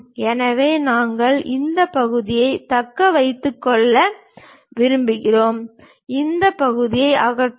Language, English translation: Tamil, So, we want to retain that part, remove this part